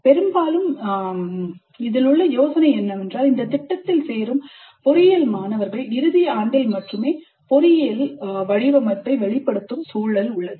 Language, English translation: Tamil, Often the idea is that the engineering students who join the program do get exposure to engineering design only in the final year